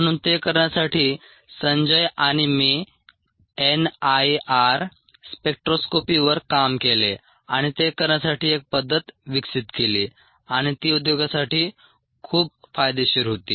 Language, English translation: Marathi, so to do that, sanjay, i had worked on n i r spectroscopy and developed a method for doing that, and that obviously here was very beneficial to the industry